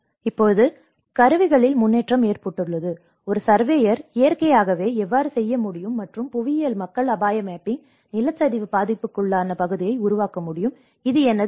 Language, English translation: Tamil, And now there has been advancement in the tools, how a surveyor can naturally do and the geomatics people can develop the hazard mapping, the landside prone area, this is a map developed from my Ph